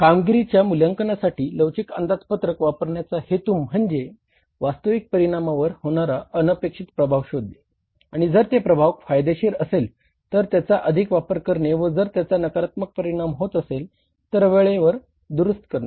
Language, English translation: Marathi, The intent of using the flexible budget for performance evaluation is to isolate unexpected effects on actual results that can be corrected if the adverse or enhanced if beneficial